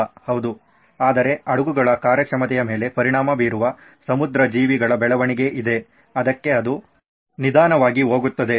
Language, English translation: Kannada, Yeah, for that but there is marine life growth which affects my ships performance, it’s going slower